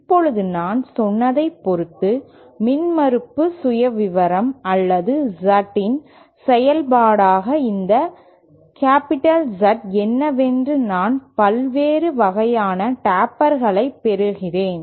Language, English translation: Tamil, Now depending on as I said what the impedance profile or this capital Z as a function of Z is I get various types of tapers